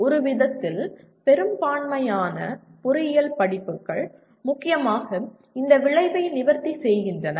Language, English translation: Tamil, In some sense majority of the engineering courses, mainly address this outcome